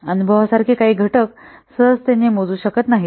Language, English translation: Marathi, Some factors such as experience cannot be easily quantified